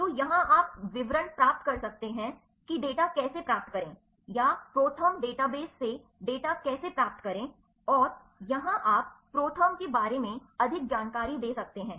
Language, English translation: Hindi, So, here you can see details how to obtain data, or how to retrieve data from ProTherm database and, here you can give the more details about the ProTherm all right